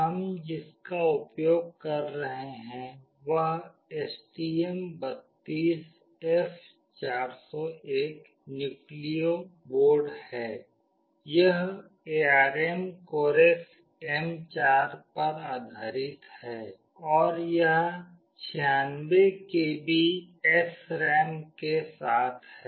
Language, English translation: Hindi, The one we will be using is STM32F401 Nucleo board, it is based on ARM Cortex M4, and it has got 96 KB of SRAM